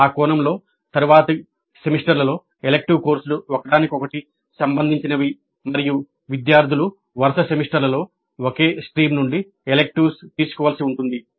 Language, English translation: Telugu, Then it is also possible that electives are structured into streams in the sense that the electives are related to each other in subsequent semesters and the students may have to take electives from the same stream in such a semester